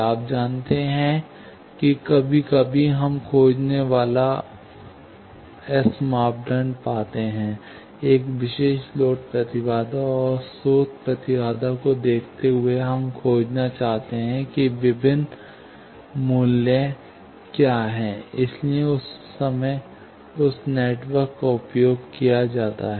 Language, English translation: Hindi, You know that, sometimes, we find the S parameters after finding, given a particular load impedance and source impedance, we want to find, what are the various values; so, that time, this network is used